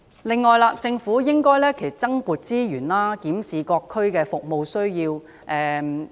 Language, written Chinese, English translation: Cantonese, 此外，政府應該增撥資源，檢視各區的服務需要。, Moreover the Government should allocate more resources to review the service needs in various districts